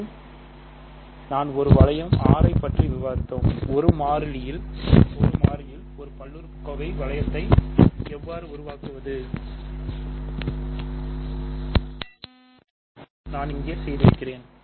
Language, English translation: Tamil, Because earlier we have discussed given a ring R, how to construct a polynomial ring in 1 variable and that is exactly what I have done here ok